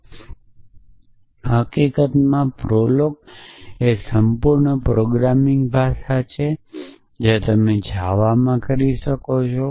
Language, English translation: Gujarati, And in fact prolog is the complete programming language anything you can do in java